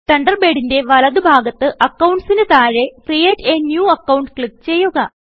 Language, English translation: Malayalam, From the right panel of the Thunderbird under Accounts, click Create a New Account